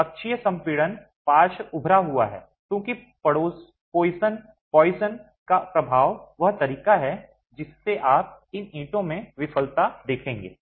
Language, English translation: Hindi, So, axial compression leading to lateral bulging because of the poisons effect is the way you would see the failure in these bricks themselves